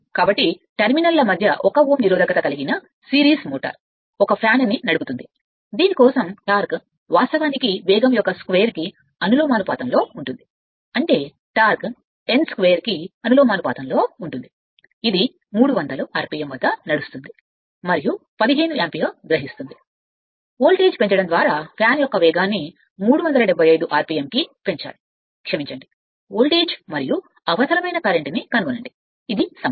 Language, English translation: Telugu, So, a series motor having a resistance of 1 Ohm between it is terminal drives a fan for which the torque actually is proportional to the square of the speed; that means, T proportional to n square right at 230 volt, it runs at 300 rpm and takes 15 ampere, the speed of the fan is to be raised to 375 rpm sorry, by increasing the voltage, find the voltage and the current required, this is the problem right